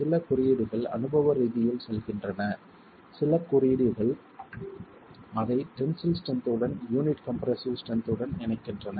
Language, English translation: Tamil, Some codes go empirical, some codes link it to the tensile strength, the compressor strength of the unit